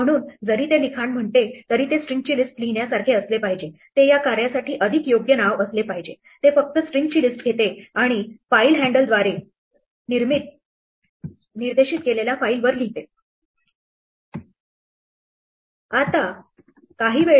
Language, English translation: Marathi, So, though it says writelines it should be more like write a list of strings, that should, that is a more appropriate name for this function, it just takes a list of strings and writes it to the file pointed to by the file handle